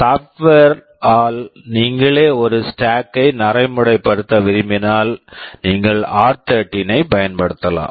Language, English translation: Tamil, If you want to implement a stack yourself by software, you can use r13 for the purpose